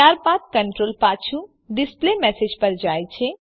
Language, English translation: Gujarati, Then the control goes back to the displayMessage